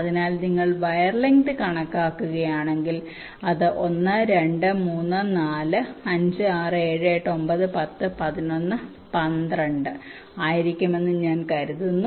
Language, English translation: Malayalam, so now, if you calculate the wire length, it will be one, two, three, four, five, six, seven, eight, nine, ten, eleven and i think twelve, so it becomes twelve